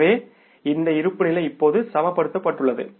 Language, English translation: Tamil, So, this balance sheet is balanced now